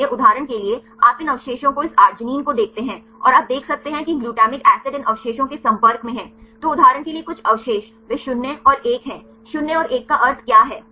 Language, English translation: Hindi, So, for example, these residues you see this arginine, and you can see these the glutamine acid these residues are at the exposed then some residues for example, they are 0 and 1; what is the meaning of the 0 and 1